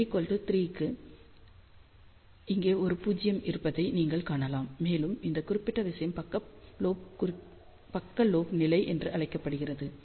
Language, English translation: Tamil, So, for n equal to 3 you can see there is a null over here, at this particular thing is known as side lobe level